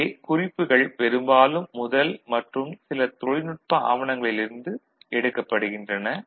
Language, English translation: Tamil, So, references are mostly taken from the first one and some technical documents